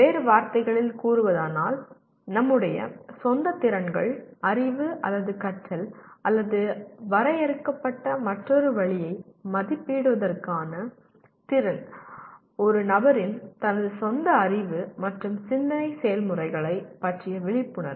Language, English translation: Tamil, In other words, the ability to assess our own skills, knowledge, or learning or another way defined, a person’s awareness of his or her own level of knowledge and thought processes